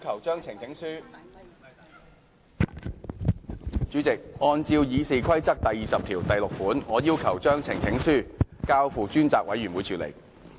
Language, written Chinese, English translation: Cantonese, 主席，按照《議事規則》第206條，我要求將呈請書交付專責委員會處理。, President in accordance with Rule 206 of the Rules of Procedure I request that the petition be referred to a select committee